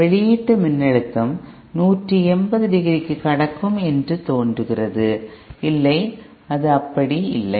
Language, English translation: Tamil, It appears as if the output voltage will also conduct for 180 degree, no, that is not the case